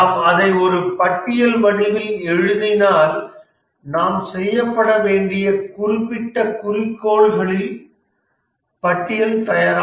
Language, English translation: Tamil, If we write it in the form of a list, it is the list of specific goals, That is what needs to be done